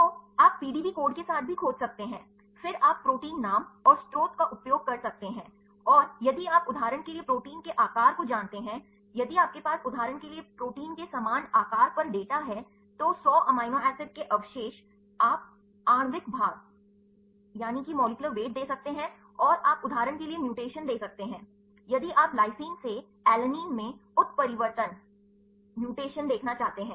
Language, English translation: Hindi, So, you can also search with the PDB code right, then you can use the protein name and the source and, if you know the size of the protein for example, if you have the data on the similar size of proteins for example, a 100 amino acid residues, you can give the molecular weight and, you can give the mutation for example, if you want to see the mutation in from lysine to alanine ok